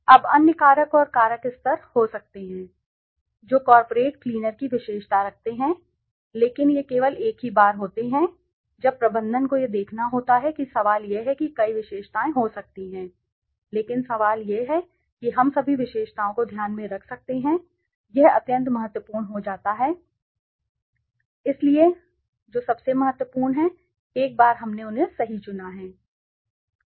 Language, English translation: Hindi, Now there could be other factors and factor level that characterized the corporate cleaners but these are the only once of the interest to the management see the question is there could be several attributes but the question is we can take into play all the attributes it becomes extremely complex so what are the most important once we have selected them right